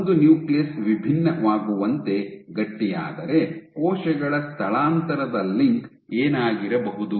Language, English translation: Kannada, So, if a nucleus stiffens as it differentiates, what is the link on cell migration